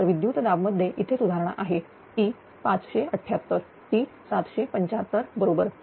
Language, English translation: Marathi, So, voltage improvement is here because it is 578; it is 735 right